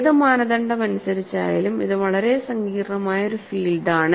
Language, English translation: Malayalam, By any standard, it is a very complex fringe field